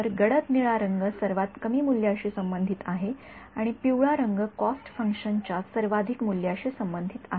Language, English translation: Marathi, So, dark blue color corresponds to lowest value and yellow colour corresponds to highest value of cost function ok